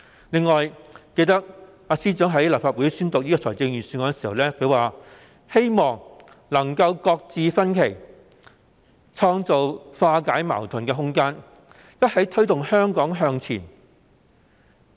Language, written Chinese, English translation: Cantonese, 還記得司長在立法會宣讀預算案時，提到希望能夠擱置分歧，創造化解矛盾的空間，一起推動香港向前。, I still recall that when the Financial Secretary delivered the Budget speech in the Legislative Council he mentioned that he wanted to worked together to put aside differences make room for resolving conflicts and drive Hong Kong forward